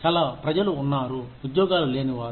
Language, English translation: Telugu, There are, so many people, who do not have jobs